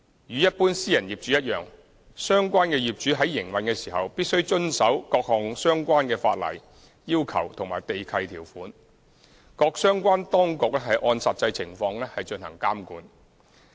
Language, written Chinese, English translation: Cantonese, 與一般私人業主一樣，相關業主在營運時，必須遵守各項相關的法例要求和地契條款，各相關當局按實際情況進行監管。, As with owners of other private properties relevant owners are obliged to comply with various legal requirements and conditions set out in the land leases in their operations while the authorities concerned would carry out supervision in the light of the actual circumstances